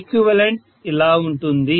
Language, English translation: Telugu, This is what is the equivalent